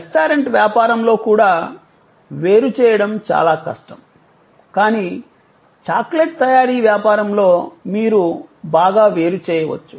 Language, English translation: Telugu, Even in a restaurant business, it was difficult to segregate, but in a business manufacturing chocolate, you could quite separate